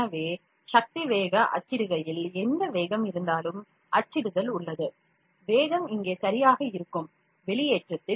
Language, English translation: Tamil, So, as power speed was printing, whatever the speed of printing is there that speed would be kept here ok, in the extrusion